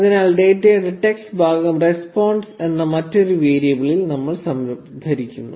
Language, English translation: Malayalam, So, we store the text part of the data in another variable called the response